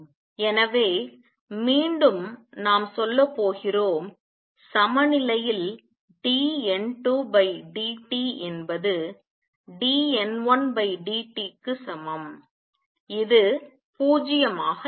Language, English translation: Tamil, So, again we are going to say that at equilibrium dN 2 by dt is equal to dN 1 by dt is going to be 0